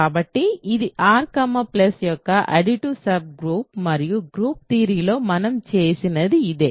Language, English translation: Telugu, So, it is an additive subgroup of R coma plus this is exactly what we have done in group theory